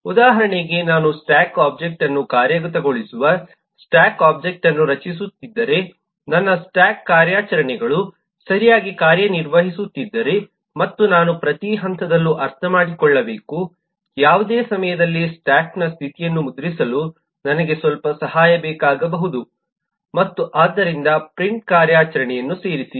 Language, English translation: Kannada, for example, if I am eh creating the stack object, implementing the stack object, and eh then I need to understand at a stage if my stack operations are working correctly and I might need some help to print the state of the stack at any point of time and therefore add a print operation